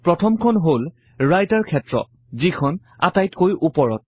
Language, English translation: Assamese, The first is the Writer area on the top